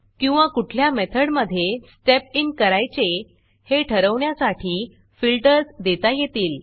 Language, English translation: Marathi, Or have filters to decide on which methods you would want to step in